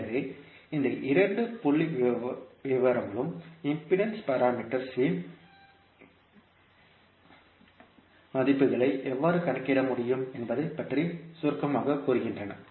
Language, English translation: Tamil, So, these two figures summarises about how we can calculate the values of impedance parameters